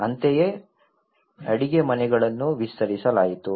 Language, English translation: Kannada, Similarly, the kitchens were extended